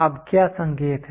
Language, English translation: Hindi, Now, what is the hint